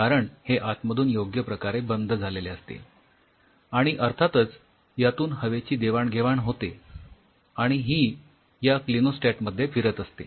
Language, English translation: Marathi, So, the inside it seals properly with of course, proper gaseous exchange and it is moving in this clinostat